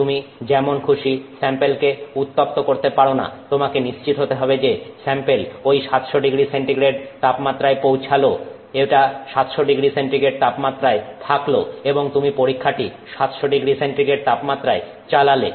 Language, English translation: Bengali, You have to ensure that the sample reaches that 700 degrees C, it stays at 700 degree C and you are running the test at 700 degree C